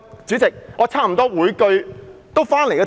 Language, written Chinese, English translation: Cantonese, 主席，我差不多每句都針對議題。, President nearly every word that I have said is relevant to the subject